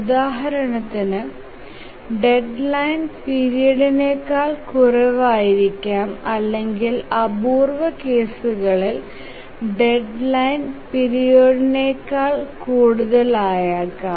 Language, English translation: Malayalam, For example, deadline can be less than the period or in rare cases deadline can be more than the period